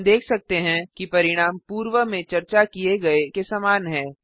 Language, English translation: Hindi, We can see that the result is as discussed before